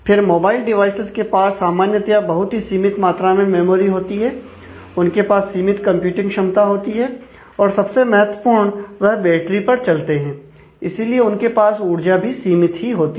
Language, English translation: Hindi, Then, mobile devices typically have limited memory, they have limited computing power, very importantly most of them run on battery and therefore, they have one limited power available